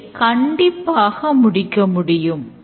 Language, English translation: Tamil, You can definitely do it